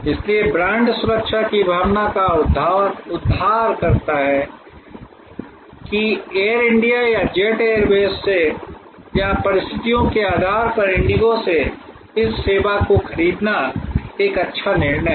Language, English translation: Hindi, So, brand delivers sense of security, that it is a good decision to buy this service from Air India or from jet airways or from indigo depending on the circumstances